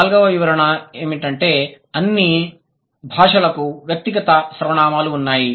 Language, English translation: Telugu, Why do all known languages have personal pronouns